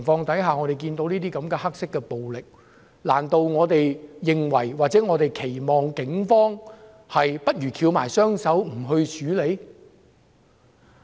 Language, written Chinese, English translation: Cantonese, 主席，看到這些黑色暴力，難道我們認為或期望警方翹起雙手，不去處理？, President having seen such black violence do we expect the Police to fold their arms and do nothing?